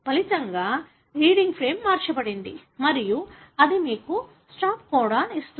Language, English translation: Telugu, As a result, the reading frame is shifted and that gives you a stop codon